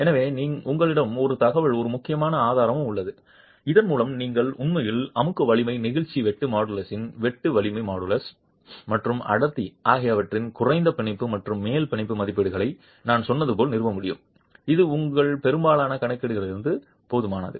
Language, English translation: Tamil, So, you have an information, an important resource here with which you can actually establish, as I said, lower bound and upper bound estimates of compressive strength, shear strength, modulus, shear modulus and density, which is sufficient for most of your calculations